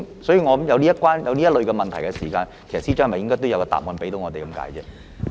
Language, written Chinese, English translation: Cantonese, 所以，我認為當有這類問題出現時，司長是否應該也向我們作出解釋？, Therefore in my view should the Secretary for Justice give us an explanation when such kind of question has arisen?